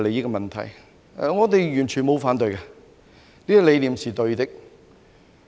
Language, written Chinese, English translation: Cantonese, 我們對此完全不反對，這個理念是對的。, We did not object to this at all . That was a right idea